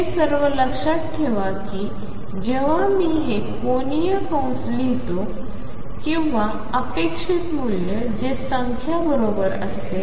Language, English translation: Marathi, In all this keep in mind that whenever I am writing this angular bracket or the expectation value that is a number right